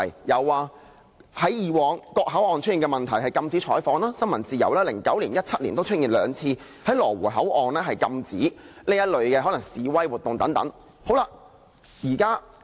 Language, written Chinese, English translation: Cantonese, 有的，在過去各口岸出現的問題就是禁止採訪、新聞自由 ，2009 年和2017年均出現兩次在羅湖口岸禁止可能示威活動。, The answer is yes . We have faced the press ban and the threat to press freedom in various port areas . In 2009 and 2017 there were two occasions of the banning of possible public demonstrations in the Lo Wu boundary control point